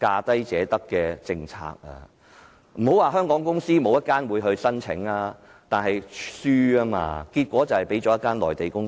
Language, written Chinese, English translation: Cantonese, 當時不是沒有香港公司入標，但結果卻敗給一家內地公司。, There were also Hong Kong companies bidding for the contract but they all lost to a Mainland company